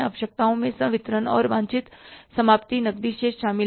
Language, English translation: Hindi, Needs include the disbursements plus the desired ending cash balance